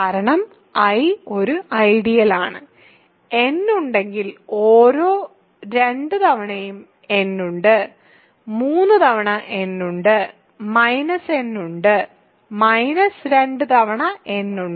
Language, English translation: Malayalam, Because, I is an ideal, if n is there, every 2 times n is there, 3 times n is there, minus n is there, minus 2 times n is there